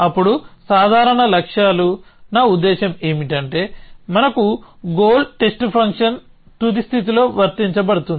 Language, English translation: Telugu, Then simple goals, I mean that we have the goal test function is on applied on the final state